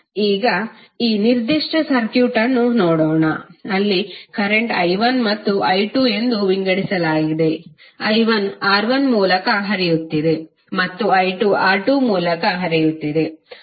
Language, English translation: Kannada, So now let us see this particular circuit where current is being divided into i1 and i2, i1 is flowing through R1 and i2 is flowing through R2